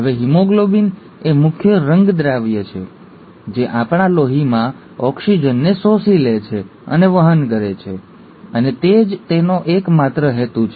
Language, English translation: Gujarati, Now haemoglobin is the main pigment which absorbs and carries oxygen in our blood, and that's its major sole purpose